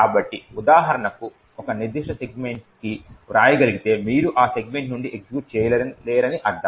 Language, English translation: Telugu, So, for example if you can write to a particular segment it would mean that you cannot execute from that segment